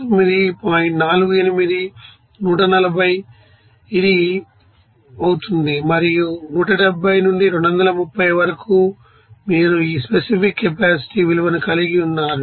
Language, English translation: Telugu, 48, 140 it will be this, and 170 up to 230 you are having these saw you know specific capacity value